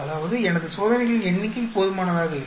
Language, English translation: Tamil, That means my number of experiments are not sufficient